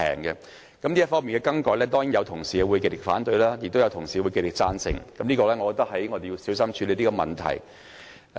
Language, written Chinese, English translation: Cantonese, 如果這方面有任何更改，當然有同事會極力反對，亦有同事會極力贊成，我認為這問題必須小心處理。, If any change is to be introduced in this respect some Members will surely raise adamant objection while others will give their adamant support . I think this matter should be handled with caution